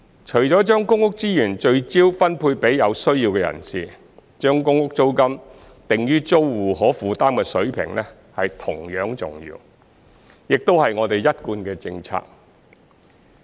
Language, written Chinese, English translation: Cantonese, 除了將公屋資源聚焦分配予有需要的人士，將公屋租金定於租戶可負擔的水平同樣重要，亦是我們一貫的政策。, Apart from focusing PRH resources on those in need it is equally important to set the PRH rent at an affordable level which is our established policy